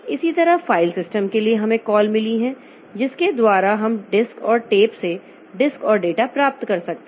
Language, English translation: Hindi, Similarly for file system, so we have got the calls by which we can get the disk and data from disk and tape